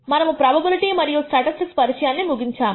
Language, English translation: Telugu, We have completed the introduction to probability and statistics